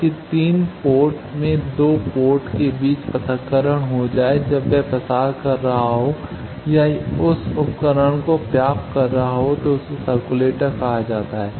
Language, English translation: Hindi, So that 3 ports there should be isolation between 2 of the ports when it is transmitting or receiving that device is called circulator